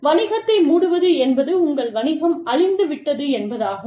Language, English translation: Tamil, Business closing down means, your business is dead